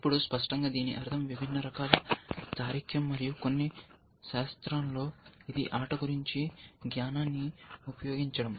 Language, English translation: Telugu, Now; obviously, this means, different kind of reasoning, and in some science it involves the use of knowledge, about the game essentially